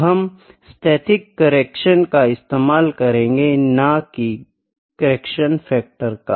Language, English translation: Hindi, So, we will use static correction, not correction factor, ok